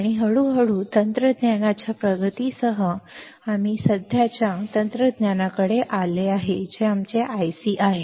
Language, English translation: Marathi, And slowly with the advancement of technology, we came to the present technology which is our IC